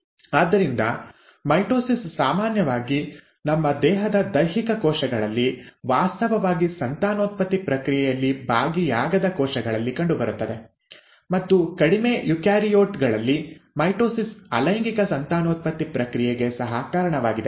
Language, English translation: Kannada, So mitosis is usually seen in somatic cells of our body, the cells which are actually not involved in the process of reproduction, and mitosis in lower eukaryotes is also responsible for the process of asexual reproduction